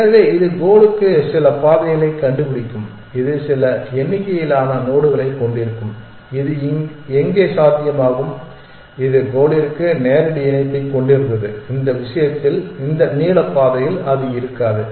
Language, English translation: Tamil, So, it will find some path to the goal which will have some number of nodes where is this possible in that this one had a direct link to the goal in which case it would not have on this path of length to